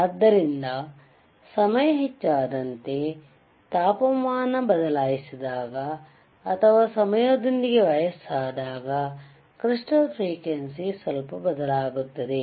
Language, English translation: Kannada, So, as the time increases, or or when did when the temperature is changed, or when it is aging by thiswith time, then the frequency of the crystals, tends to change slightly